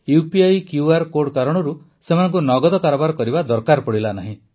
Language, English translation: Odia, Because of the UPI QR code, they did not have to withdraw cash